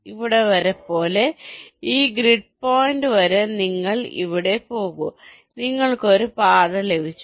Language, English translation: Malayalam, then you go here up to this grid point and you have got a path